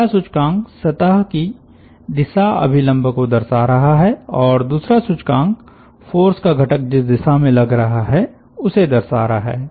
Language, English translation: Hindi, the first index is representing the direction normal of the surface and the second index is representing the direction of action of the force component